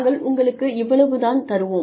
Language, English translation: Tamil, We will give you, this much